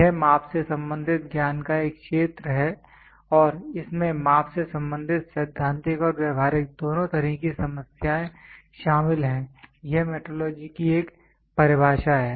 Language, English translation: Hindi, It is a field of knowledge concerned with measurements and includes both theoretical and practical problems related to measurement, is one definition of metrology